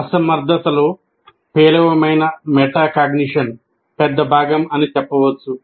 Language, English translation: Telugu, So you can say poor metacognition is a big part of incompetence